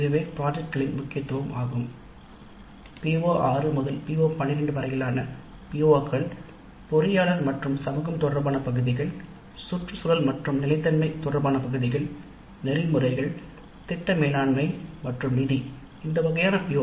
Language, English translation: Tamil, In fact, the POs from PO 6 to PO 12, those related to engineering society, related to environment and sustainability, related to ethics, project management and finance, all these kind of POs